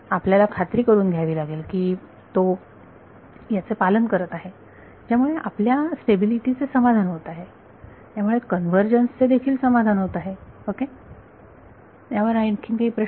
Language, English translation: Marathi, You have to make sure that it is obeying it such that your stability is satisfied therefore, convergence is also satisfied ok; any further questions on this